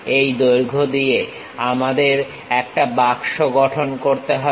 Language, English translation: Bengali, With these lengths we have to construct a box, so let us see